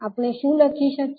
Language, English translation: Gujarati, What we can write